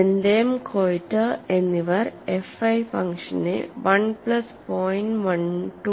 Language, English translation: Malayalam, According to Benthem and Koiter, the function F1 is given as 1 plus 0